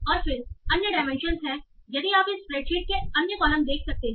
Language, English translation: Hindi, And then there are other dimensions if you can see the other columns of this spreadsheet